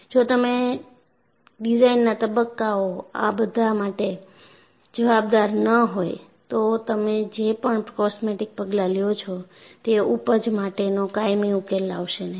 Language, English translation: Gujarati, If you do not account for this at the design phase, whatever the cosmetic steps that you take, will not yield a permanent solution